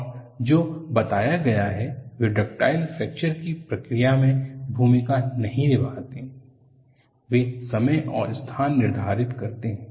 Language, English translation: Hindi, And what is reported is, they do not play a role in the process of ductile fracture, they determine the instant and the location